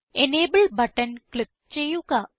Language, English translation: Malayalam, Click on the Enable button